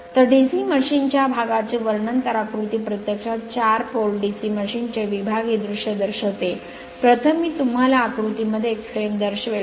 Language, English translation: Marathi, So description of the parts of a DC machine, so figure 5 actually shows the sectional view of four pole DC machine, first one is the frame I will show you in the diagram